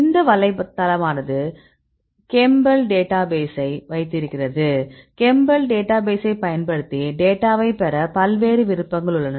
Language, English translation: Tamil, So, this is website have this a database chembl chembl right you can utilize these database and you have various options to get the data